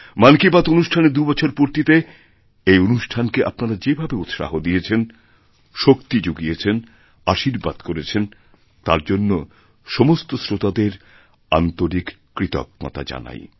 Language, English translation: Bengali, On completion of two years of Mann Ki Baat this week, I wish to express my sincere gratitude from the core of my heart to all you listeners who appreciated it, who contributed to improving it and thus blessed me